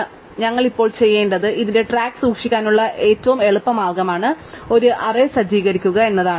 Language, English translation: Malayalam, So, what we will do now is the easiest way to keep track of this is to setup an array, right